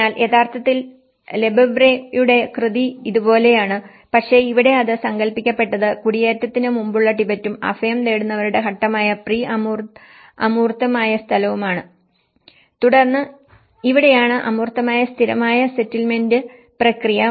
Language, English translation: Malayalam, So, originally the Lefebvreís work is like this but in here it has been conceptualized from the absolute space which the Tibet before migration and the pre abstract space which is an asylum seeker stage and then this is where the permanent settlement process from the abstract and the conflicted and a differential space